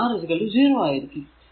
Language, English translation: Malayalam, So, it is G is 0